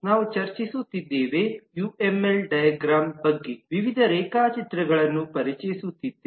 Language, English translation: Kannada, We have been discussing about UML diagrams, introducing variety of diagrams